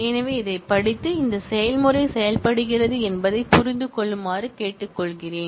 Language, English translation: Tamil, So, I would request you to study this and understand that this process works